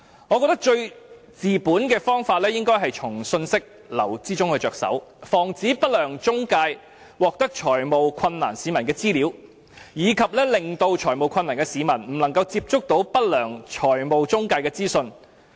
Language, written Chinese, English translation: Cantonese, 我認為最治本的方法是從信息流着手，防止不良中介獲得有財務困難的市民的資料，以及令有財務困難的市民不能接觸不良財務中介的資訊。, In my view the best solution for tackling the problem at root is to start with information flow barring unscrupulous intermediaries from obtaining the data of members of the public in financial distress and preventing members of the public in financial distress from being exposed to the information offered by unscrupulous financial intermediaries